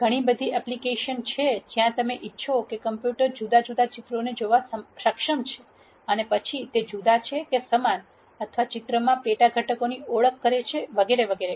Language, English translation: Gujarati, There are many many ap plications where you want the computer to be able to look at di erent pictures and then see whether they are di erent or the same or identify sub components in the picture and so on